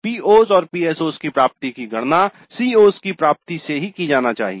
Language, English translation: Hindi, So, attainment of the POs and PSOs need to be computed from the attainment of COs